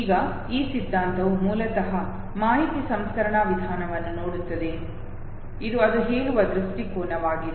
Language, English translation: Kannada, Now this theory basically no looks at the information processing approach this is the view point it says